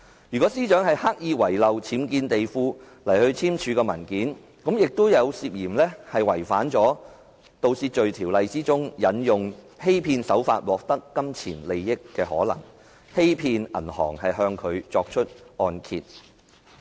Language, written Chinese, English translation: Cantonese, 如果司長是刻意在按揭文件隱瞞僭建地庫，亦涉嫌觸犯了《盜竊罪條例》中，"以欺騙手段……取得金錢利益"一罪，欺騙銀行向她批出按揭。, If the Secretary for Justice deliberately concealed the unauthorized basement when signing the mortgage document she was alleged of committing a crime by any deception dishonestly obtains for himself pecuniary advantage under the Theft Ordinance which is securing a mortgage from the bank by fraud